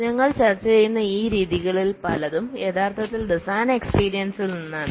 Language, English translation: Malayalam, many of these methods that we will be discussing, they actually come out of design experience